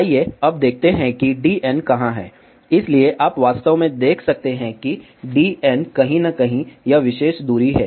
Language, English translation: Hindi, Let us see now, where is d n, so you can actually see that d n is somewhere this particular distance here